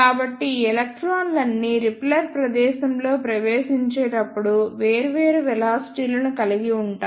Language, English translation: Telugu, So, all these electrons will have different velocities as they enter in the repeller space